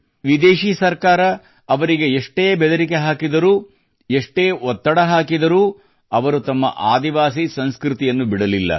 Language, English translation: Kannada, The foreign rule subjected him to countless threats and applied immense pressure, but he did not relinquish the tribal culture